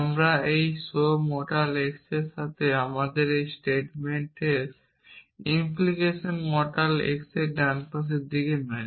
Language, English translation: Bengali, We match this show mortal x with the right hand side of our statement implication mortal x